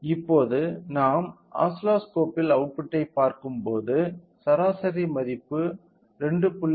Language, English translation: Tamil, Now, when we look into the output when we look into the oscilloscope here we can see that the mean value represents 2